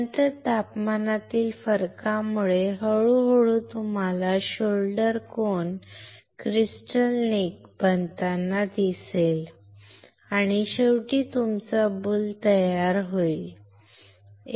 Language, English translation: Marathi, Then because of the temperature difference slowly you will see the formation of the shoulder cone, crystal neck, and finally, your boule will start forming